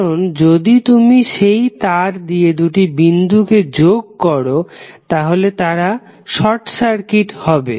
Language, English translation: Bengali, Because if you connect that wire through between 2 nodes then the 2 nodes will be short circuited